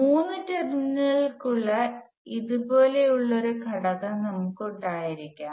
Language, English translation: Malayalam, We can have an element like this, which has three terminals